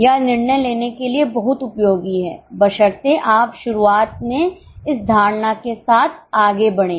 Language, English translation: Hindi, It is very much useful for decision making provided you go ahead with these assumptions in the beginning